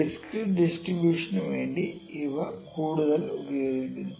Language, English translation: Malayalam, So, these are more used for the discrete distribution